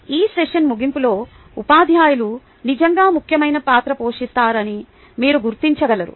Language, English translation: Telugu, at the end of this session, you will be able to recognize that teachers indeed play an important role